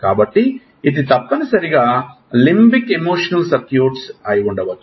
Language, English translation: Telugu, So, this is the essentially the limbic emotional circuit